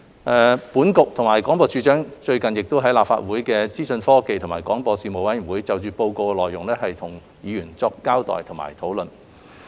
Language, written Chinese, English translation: Cantonese, 商經局及廣播處長最近亦在立法會資訊科技及廣播事務委員會就《檢討報告》的內容與議員作出交代及討論。, CEDB and D of B also briefed and discussed with Legislative Council Members about the Review Report at the Legislative Council Panel on Information Technology and Broadcasting